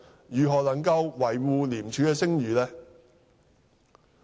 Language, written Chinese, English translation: Cantonese, 如何能夠維護廉署的聲譽呢？, How can he defend the reputation of ICAC?